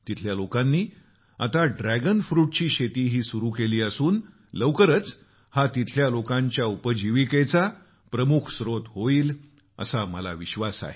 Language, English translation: Marathi, The locals have now started the cultivation of Dragon fruit and I am sure that it will soon become a major source of livelihood for the people there